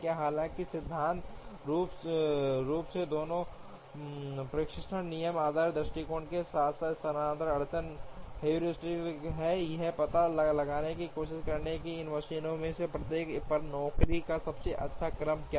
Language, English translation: Hindi, Even though in principle both the dispatching rule based approach as well as the shifting bottleneck heuristic, try to find out what is the best sequence of jobs on each of these machines